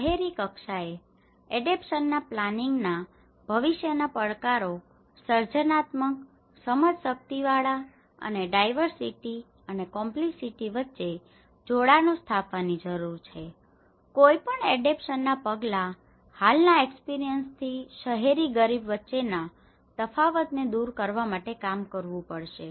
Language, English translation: Gujarati, The future challenges of adaptation planning in city level needs to be creative, understanding and establishing connections between diversity and complexity, any adaptation measure for the urban poor has to work towards bridging the gap from present experiences